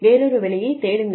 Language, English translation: Tamil, Go, find another job